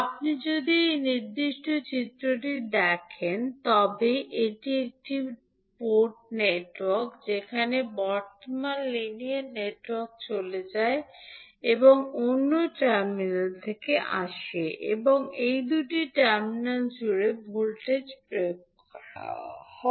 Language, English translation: Bengali, So, if you look at this particular figure, this is one port network where the current goes in to the linear network and comes out from the other terminal and voltage is applied across these two terminals